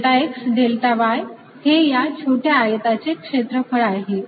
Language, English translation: Marathi, what is delta x, delta y, delta x, delta y is nothing but the area of this small rectangle